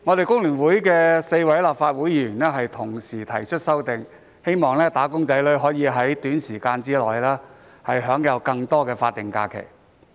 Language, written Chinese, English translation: Cantonese, 工聯會4位議員已提出修正案，希望"打工仔女"可以在短時間內享有更多法定假日。, Four Members of FTU have proposed amendments hoping that wage earners can enjoy more statutory holidays SHs within a short time